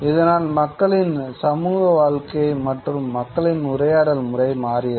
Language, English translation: Tamil, And this sort of alters the social life of people, way people interact